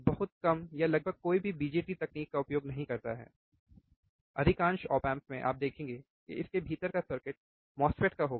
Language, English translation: Hindi, Very few or almost none uses the bjt technology anymore, most of the op amps you will see the circuit within it would be of a MOSFET